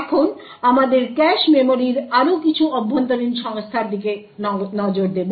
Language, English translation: Bengali, Now, we would have to look at some more internal organization about the cache memory